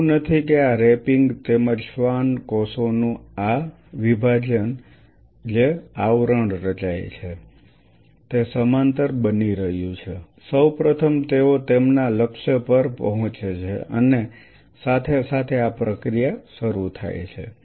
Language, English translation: Gujarati, It is not that what these wrapping as well as these wrapping as well as this division of the Schwann cells to form that covering is happening parallelly first of all they hit their target and simultaneously this process starts